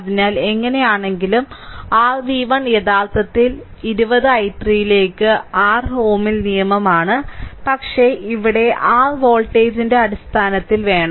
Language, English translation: Malayalam, So, in that case anyway your ah v 1 is equal to actually 20 into i 3 that is your ohms law, but here we want in terms of your voltage